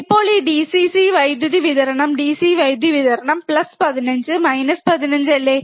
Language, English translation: Malayalam, Now, we have here on this DC power supply, DC power supply, plus 15 minus 15 right